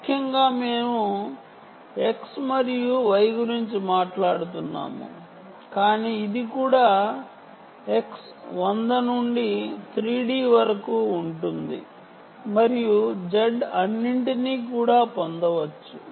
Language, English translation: Telugu, essentially we are talking about x and y, but well, this can also be x, hundred to three, d and we can also get z and all that, but dont worry about it